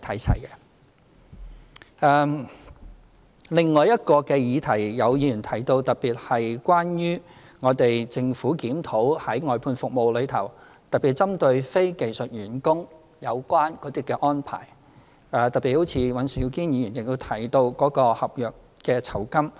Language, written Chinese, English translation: Cantonese, 此外，有議員提到有關政府檢討外判服務的事宜，特別針對非技術員工的有關安排，而尹兆堅議員亦特別提到合約酬金的問題。, Besides some Members talked about the Governments review on outsourcing services especially on the arrangements for non - skilled workers and Mr Andrew WAN particularly mentioned the issue of end of contract gratuity